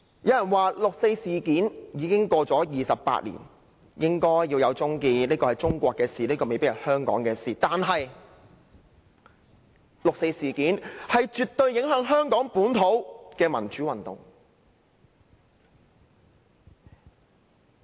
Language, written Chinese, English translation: Cantonese, 有人說，六四事件已過了28年，應該終結，這是中國的事，未必是香港的事，但六四事件絕對影響了香港本土的民主運動。, Some people said that the 4 June incident should come to an end as it has been 28 years and that it is a matter of China instead of Hong Kong . But the 4 June incident has absolutely influenced the democratic movement in Hong Kong